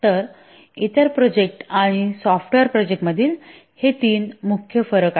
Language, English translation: Marathi, So these are the three main differences between other projects and software projects